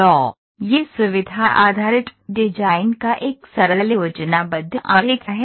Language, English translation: Hindi, So, this is a simple schematic diagram of feature based design